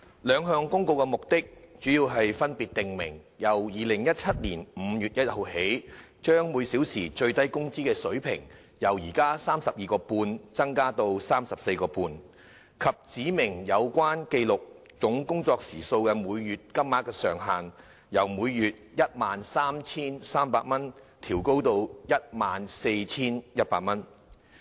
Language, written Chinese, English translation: Cantonese, 兩項公告的目的，主要是分別訂明由2017年5月1日起，將每小時最低工資水平由 32.5 元增至 34.5 元，以及指明有關記錄總工作時數的每月金額上限，由每月 13,300 元調高至 14,100 元。, The two Notices respectively seek to provide that starting from 1 May 2017 the hourly Statutory Minimum Wage SWM rate will be increased from 32.5 to 34.5 and specify that the monthly monetary cap on recording the total number of hours worked will be increased from 13,300 per month to 14,100 per month